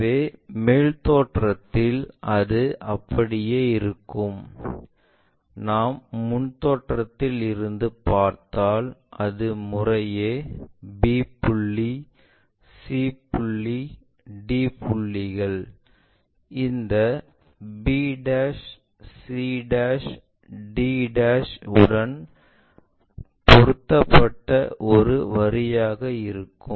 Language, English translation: Tamil, So, top view it will be like that if we are looking from front view it will be just a line where b point, c point, d points mapped to this b', c', d' respectively